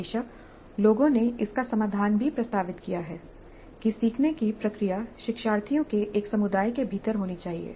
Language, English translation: Hindi, Because people have proposed a solution to this also that learning process should occur within a community of learners